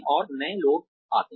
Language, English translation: Hindi, And, new people come in